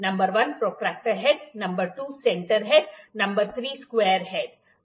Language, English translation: Hindi, Number 1 protractor head, number 2 center head, number 3 is square head